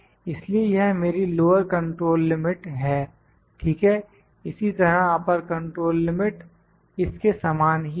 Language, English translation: Hindi, So, this is my lower control limit, ok, similarly upper control limit would be very similar to this